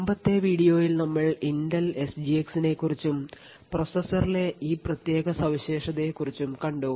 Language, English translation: Malayalam, In the previous video we had also looked at the Intel SGX we have seen what was capable with this particular feature in the processor